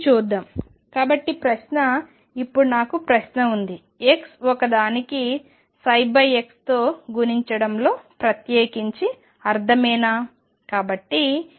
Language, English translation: Telugu, Let us see that; so the question; now I have question, does it make sense in particular for x 1 is multiplying psi by x